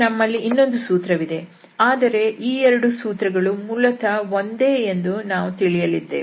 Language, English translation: Kannada, And now, we have the another one but we will see that these are basically the same